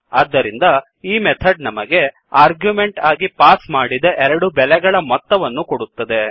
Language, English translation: Kannada, So this method will give us the sum of two values that are passed as argument to this methods